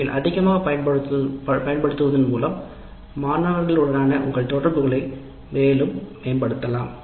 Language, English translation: Tamil, The more you can use, the more you can improve your interaction with the students